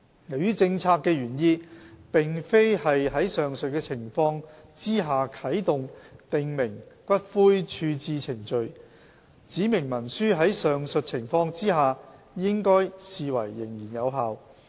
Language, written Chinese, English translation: Cantonese, 由於政策的原意並非是在上述情況下啟動訂明骨灰處置程序，指明文書在上述情況下應視為仍然有效。, As it is not the policy intent to trigger the prescribed ash disposal procedures under the said circumstances a specified instrument should be treated as still in force under the aforementioned circumstances